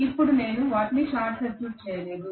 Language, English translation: Telugu, Now I have not short circuited them